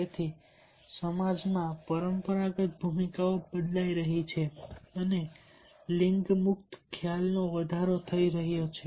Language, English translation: Gujarati, so therefore, the traditional roles are changing in the society and there is a gender free perceptions